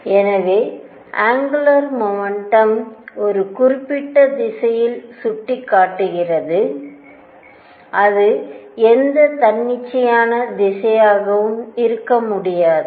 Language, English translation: Tamil, So that the angular momentum is pointing in certain direction it cannot be any arbitrary direction